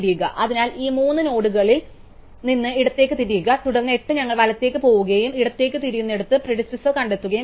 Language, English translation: Malayalam, So, immediately turn left of these three nodes and then 8 we go right and where we turn left we find the predecessor